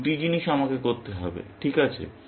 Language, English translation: Bengali, These two things I have to do, correct